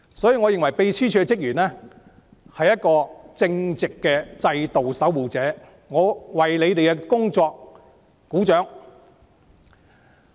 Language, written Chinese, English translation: Cantonese, 因此，我認為秘書處職員是一群正直的制度守護者，我為他們的工作鼓掌。, Therefore I consider staff of the Secretariat a band of righteous guardians of the system and I applaud their work